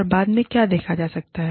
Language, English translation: Hindi, And, what can be looked at, later